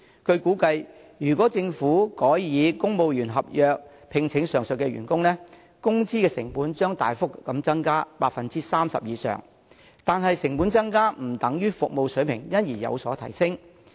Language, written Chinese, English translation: Cantonese, 據估計，如果政府改以公務員合約聘請上述員工，工資成本將大幅增加 30% 以上，但成本增加不等於服務水平因而有所提升。, It is estimated that if the Government employs the aforementioned employees on civil service agreement terms the cost of wages will drastically increase by over 30 % . However an increase in cost does not necessarily result in enhancement in the standard of service